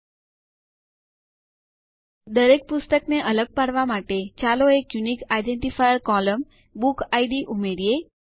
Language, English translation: Gujarati, To distinguish each book, let us also add a unique identifier column called BookId